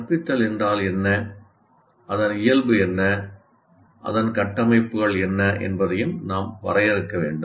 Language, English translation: Tamil, So we also once again need to define what instruction is and what is its nature and what are its constructs